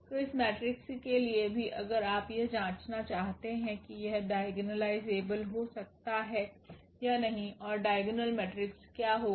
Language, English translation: Hindi, So, for this matrix also if you want to check whether it can be diagonalized or not and what will be the diagonal matrix